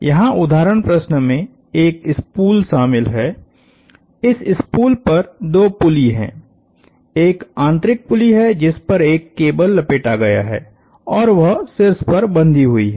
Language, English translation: Hindi, The example problem here involves a spool, this spool has two pulleys on it, there is a inner pulley on which a cable is wound and that is tethered to the top